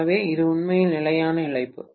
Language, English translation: Tamil, So, this is actually the constant loss, right